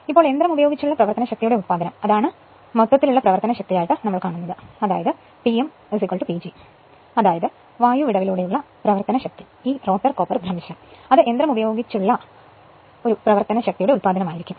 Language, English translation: Malayalam, Now, mechanical power output that is the gross power right that P m is equal to P G that is your power across the air gap minus this copper loss rotor copper loss that will be mechanical power output